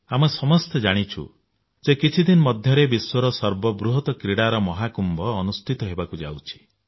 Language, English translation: Odia, All of us know that in a few days time, the world's largest sports event, the biggest sports carnival will take place